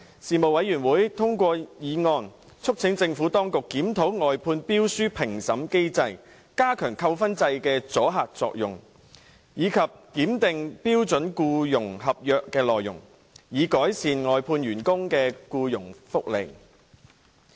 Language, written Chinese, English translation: Cantonese, 事務委員會通過議案，促請政府當局檢討外判標書評審機制、加強扣分制的阻嚇作用，以及檢定標準僱傭合約內容，以改善外判員工的僱傭福利。, The Panel passed several motions on urging the Administration to review the mechanism for evaluating outsourced service tenders enhance the deterrent effect of the demerit points system and examine the contents of the Standard Employment Contract so as to improve employment benefits for outsourced workers